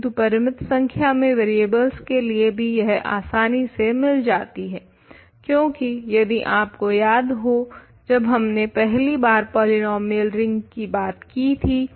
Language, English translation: Hindi, But, I get the case of finitely many variables easily, because if you remember how we talked about polynomial rings for first time